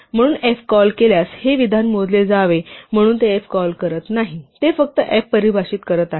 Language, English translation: Marathi, So, this statement should be computed if I call f so it is not calling f it is just defining f